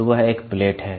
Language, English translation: Hindi, So, that is a plate